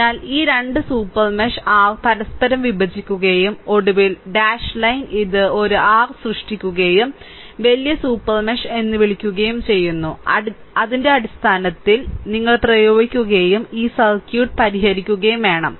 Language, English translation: Malayalam, So, these 2 super mesh your intersect each other and finally, dash line this creating a your what you call larger super mesh right based on that we have to apply right we have to solve this circuit